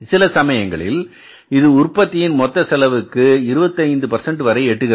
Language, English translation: Tamil, So, sometime it reaches up to 25% of the total cost of the production